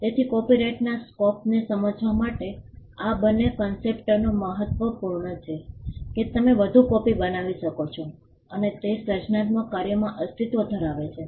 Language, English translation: Gujarati, So, these two concepts are important to understand the scope of copyright the fact that you can make more copies and it subsists in creative works